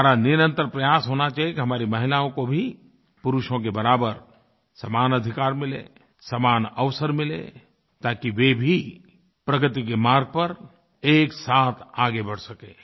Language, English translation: Hindi, It should be our constant endeavor that our women also get equal rights and equal opportunities just like men get so that they can proceed simultaneously on the path of progress